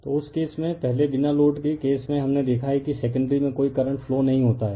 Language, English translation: Hindi, So, in that case so earlier in for no load cases we have seen that you are what you call there was no current flowing in the secondary, right